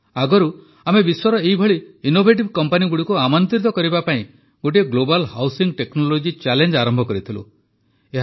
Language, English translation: Odia, Some time ago we had launched a Global Housing Technology Challenge to invite such innovative companies from all over the world